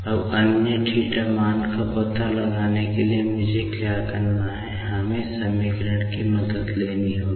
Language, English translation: Hindi, Now, to find out the other theta values actually, what I will have to do is, we will have to take the help of other equations